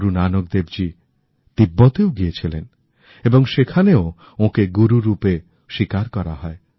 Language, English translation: Bengali, Guru Nanak Dev Ji also went to Tibet where people accorded him the status of a Guru